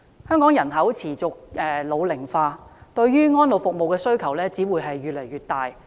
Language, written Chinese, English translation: Cantonese, 香港人口持續老齡化，對於安老服務的需求只會越來越大。, With an ageing population in Hong Kong the demand for elderly services will only go up